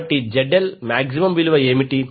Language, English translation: Telugu, So, what will be the value of ZL